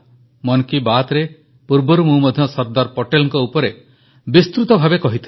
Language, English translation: Odia, Earlier too, we have talked in detail on Sardar Patel in Mann Ki Baat